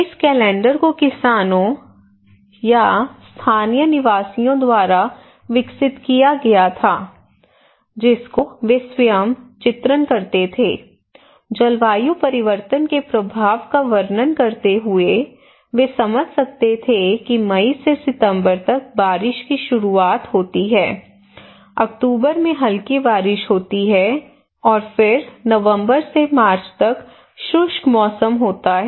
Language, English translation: Hindi, This calendar were developed by the farmers or the local residents by themselves they are depicting, describing the impact of climate change they can sense they can feel so in normal and stable climate or usual regular calendar there is that they have some onset of rain from May to September and then they have slight rain in October and then they have this dry season from November to March